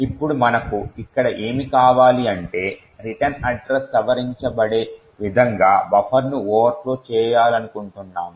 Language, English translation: Telugu, Now what we do want over here is that we want to overflow the buffer in such a way so that the return address is modified